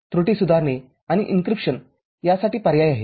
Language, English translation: Marathi, There are options for the error correction and the encryption